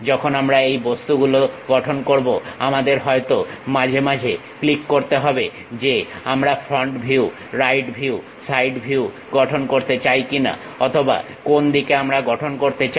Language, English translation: Bengali, When we are constructing these objects we may have to occasionally click whether I would like to construct front view, right view, side view or on which side we would like to construct